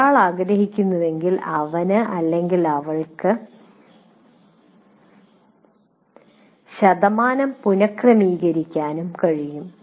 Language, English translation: Malayalam, If one wants, you can also rearrange the percentages as you wish